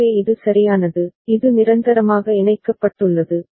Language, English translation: Tamil, so this one is there right and this is permanently connected ok